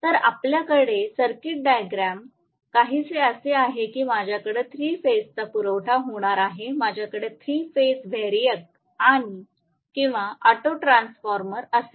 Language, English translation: Marathi, So, what we are going to have is the circuit diagram is somewhat like this I am going to have 3 phase supply, I will have a 3 phase variac or an auto transformer